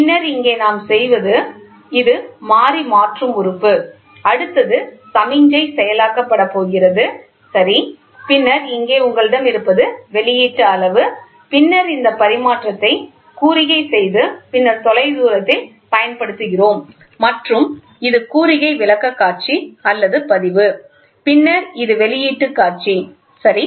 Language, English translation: Tamil, Then here what we do is it is a variable conversion element, the next one is going to be the signal is getting processed, ok, then here you what we have is output measurement, then signal this transmission and then here we use of at the remote place and this is signal presentation or record, then this is the output display, ok